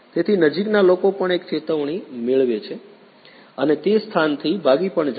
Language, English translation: Gujarati, So, nearby people also get an alert and also flee from the that place